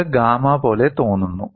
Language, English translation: Malayalam, This looks like gamma